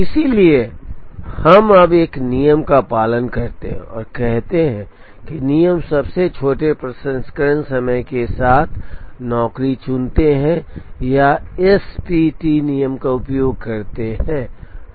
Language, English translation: Hindi, So, we now follow a rule and say that rule choose job with Smallest Processing Time or use SPT rule